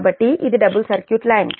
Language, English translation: Telugu, so this is double circuit line